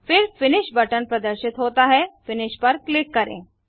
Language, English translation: Hindi, Then the finish button is displayed, click finish